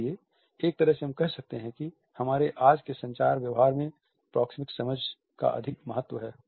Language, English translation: Hindi, So, in a way we can say that the proxemic understanding has an over reaching significance in our today’s communicating behavior